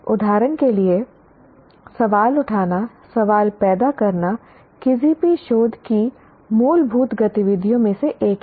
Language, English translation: Hindi, For example, raising questions, generating questions is one of the fundamental activities of any research, of any research